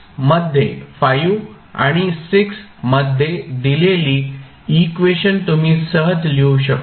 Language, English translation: Marathi, So, what you can write for this equation